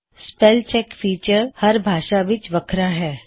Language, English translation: Punjabi, The spell check feature is distinct for each language